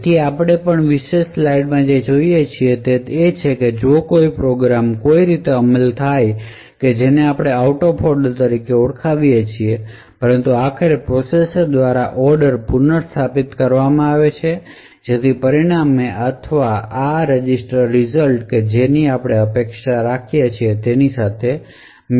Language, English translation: Gujarati, So essentially what we see in this particular slide is that even though a program is return in a particular manner it would could be executed in any manner which we known as out of order, but eventually the order is restored by the processor so that the results or the registers return back would match the original expectation for the program